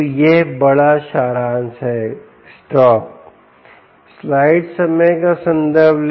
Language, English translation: Hindi, so this is the big summary, stop